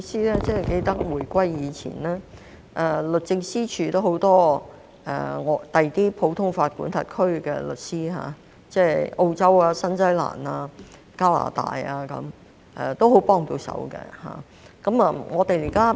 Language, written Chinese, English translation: Cantonese, 主席，我記得在回歸前，律政司署曾有很多來自其他普通法管轄區的律師，例如澳洲、新西蘭、加拿大，他們也很幫得上忙。, President as I recall before the return of sovereignty the Attorney Generals Chambers used to engage a number of lawyers from other common law jurisdictions such as Australia New Zealand and Canada and they were very helpful